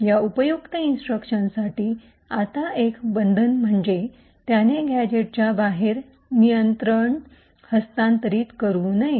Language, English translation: Marathi, Now one restriction for these useful instructions is that it should not transfer control outside the gadget